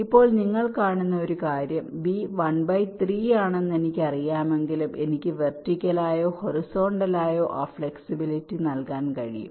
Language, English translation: Malayalam, now one thing, you see, see, although i know that b is one by three, but i can lay it out either vertically or horizontally, that flexibility i have